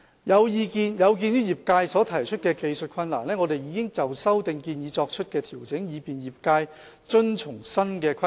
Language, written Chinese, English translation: Cantonese, 有鑒於業界所提出的技術困難，我們已就修訂建議作出調整，以便業界遵從新的規定。, In view of the technical concerns expressed by the trade we have adjusted our proposed amendments to facilitate the trade in complying with the new requirements